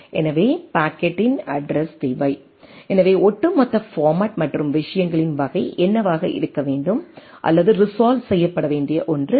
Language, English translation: Tamil, So, need to a address of the packet, so what should be the overall format and type of things that is issue or there is a something to be resolved